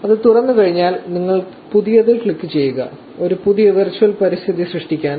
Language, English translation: Malayalam, So, once it opens you just click on new; to create a new virtual environment